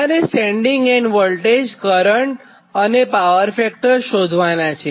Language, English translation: Gujarati, you have to find out the sending end voltage, current and power factor